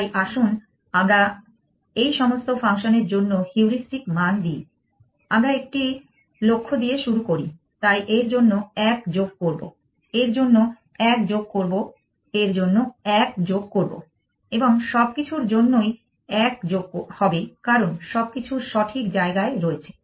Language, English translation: Bengali, let us just give heuristic values for all this functions, so let us start with a goal, so for this we will have plus one for this plus one for this plus one for everything because everything is on the correct place